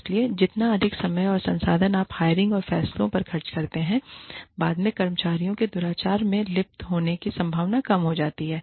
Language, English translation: Hindi, So, the more time and resources, you spend on the hiring decisions, the lesser the chances of employees, engaging in misconduct, later